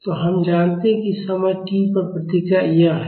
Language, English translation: Hindi, So, we know that the response at time t is this